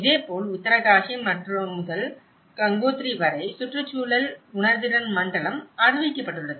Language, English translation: Tamil, Similarly, in Uttarkashi to Gangotri, where the eco sensitive zone has been declared